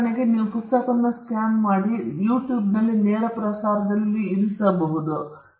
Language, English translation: Kannada, For instance, somebody scans the book and chooses to put it on a live telecast, on youtube